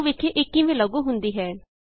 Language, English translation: Punjabi, Let us see how it is implemented